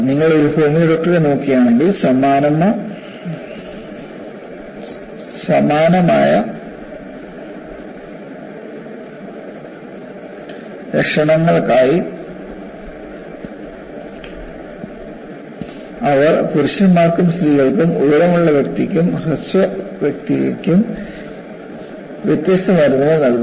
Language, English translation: Malayalam, See, if you look at a homeopathic doctor, for the same or similar symptoms, they will give different medicines for men, women, tall person, short person